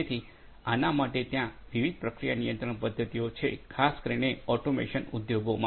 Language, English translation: Gujarati, So, for this actually there are different different process control mechanisms are there particularly, in automation industries